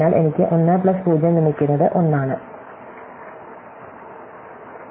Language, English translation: Malayalam, So, I get 1 plus 0 is 1